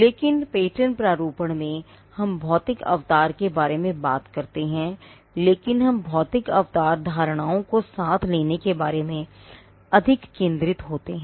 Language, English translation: Hindi, But in patent drafting, we are concerned about the physical embodiment, but we are more concerned about capturing the physical embodiment inverts